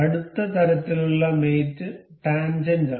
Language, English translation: Malayalam, Next kind of mate is tangent